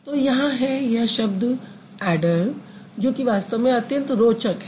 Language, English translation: Hindi, So, here is the word adder, which is an interesting word in fact